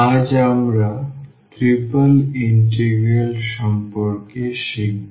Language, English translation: Bengali, Today we will learn about the triple integrals